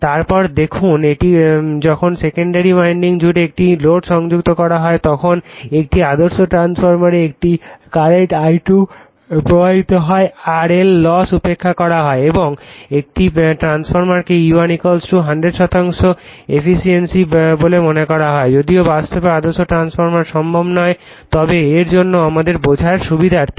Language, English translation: Bengali, Then you see, this when a load is connected across the secondary winding a current I2 flows in an ideal transformeRLosses are neglected and a transformer is considered to bE100 percent efficient right, although the reality ideal transformer is not possible, but for the sake of our clarification